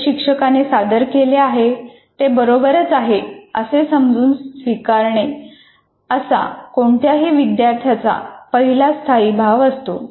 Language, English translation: Marathi, The first tendency of any student is whatever is presented by the teacher is right